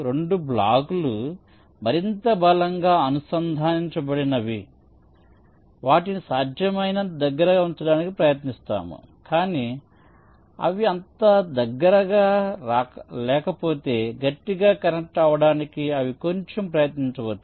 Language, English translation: Telugu, the two blocks which are more strongly connected together, we try to put them as close together as possible, but if they are not so close strongly connected, they maybe put a little for the effort, no problem